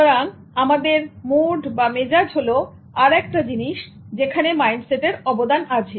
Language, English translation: Bengali, So our mood is another thing that mind set is contributing to